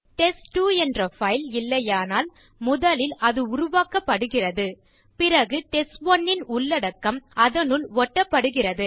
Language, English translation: Tamil, If test2 doesnt exist it would be first created and then the content of test1 will be copied to it